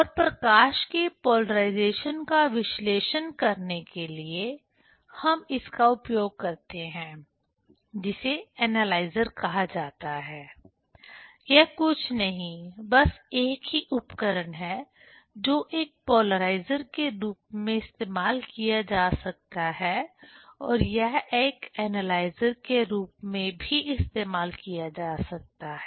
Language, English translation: Hindi, And to analyze the polarization of the light we use also this; that is called analyzer; that is nothing, but the same tool which can be used as a polarizer and also it can be used as an analyzer